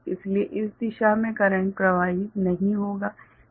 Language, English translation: Hindi, So, current will not be flowing in this direction is it clear right